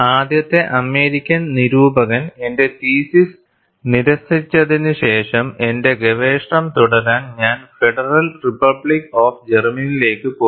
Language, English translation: Malayalam, After having my theses initially rejected by the first American reviewer, I went to the Federal Republic of Germany, to continue my research' and the story goes like this